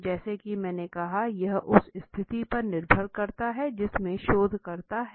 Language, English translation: Hindi, As I said it depends on the situation where the researcher is in